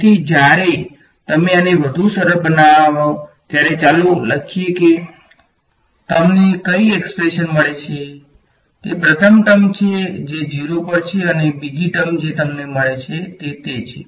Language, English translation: Gujarati, So, when you simplify this further let us write down s what expression you get is first term is this which is at 0 and the second term that you get is ok